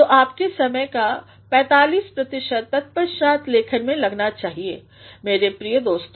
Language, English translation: Hindi, So, 45 per cent of your time should be spent in rewriting, my dear friends